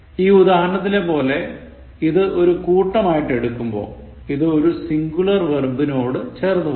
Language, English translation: Malayalam, When it is viewed as a mass as in the above example, then it takes a singular verb